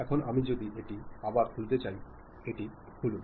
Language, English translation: Bengali, Now, if I would like to reopen that, open that